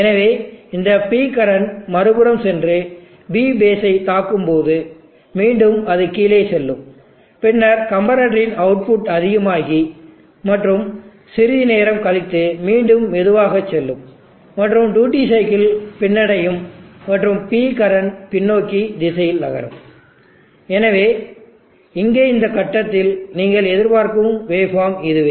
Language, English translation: Tamil, So when this P current goes and hits the other side P base again it will go below, and then there is high at the output of the comparator and after sometime again goes slow and there is a reverse of the duty cycle and P current moves in the reverse direction